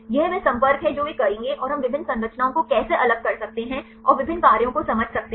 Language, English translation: Hindi, This is the contact they will make and how we can superimpose the different structures and to understand the different functions